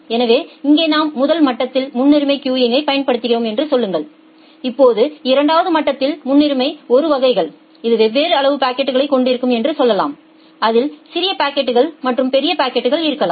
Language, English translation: Tamil, So, here in the first level we are applying say priority queuing, now at the second level say for priority 1 classes, it can have different size packets it can have small packets as well as large packets